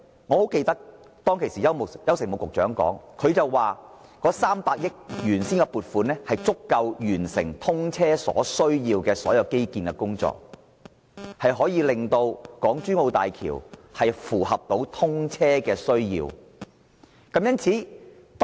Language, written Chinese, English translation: Cantonese, 我記得當時的邱誠武副局長表示，原本的300億元撥款足以完成通車所需的所有基建項目，令港珠澳大橋得以應付通車需要。, I remember that Mr YAU Shing - mu the Under Secretary then indicated that the original funding of 30 billion was enough to complete all the infrastructure projects needed for the commissioning of HZMB and the bridge would be able to meet the needs of its commissioning